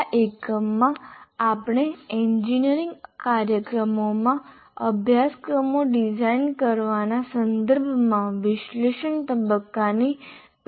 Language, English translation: Gujarati, And in this unit, we'll identify the sub processes of analysis phase in the context of designing courses in engineering programs